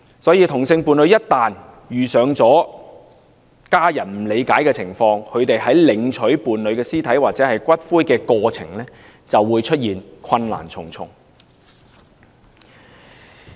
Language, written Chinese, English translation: Cantonese, 所以同性伴侶一旦遇上伴侶家人不理解的情況，他們在領取伴侶屍體或骨灰的過程便會困難重重。, Therefore once homosexual people encounter a situation beyond the comprehension of their partners family they will be faced with a lot of difficulties in the course of collecting their partner dead body or cremated ashes